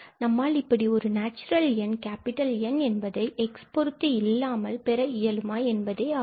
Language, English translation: Tamil, So, the question here is out of this expression here, can we find a N which does not depend on x